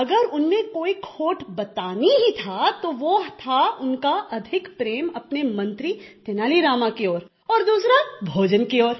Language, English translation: Hindi, If at all there was any weakness, it was his excessive fondness for his minister Tenali Rama and secondly for food